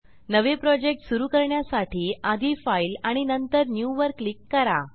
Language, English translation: Marathi, To start a new project, click on File and then click on New